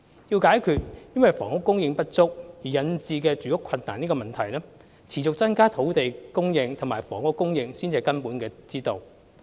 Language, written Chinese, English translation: Cantonese, 要解決因房屋供應不足而引致住屋困難的問題，持續增加土地和房屋供應方為根本之道。, A continuous increase in land and housing supply remains a fundamental solution to the housing problem attributed to inadequate housing supply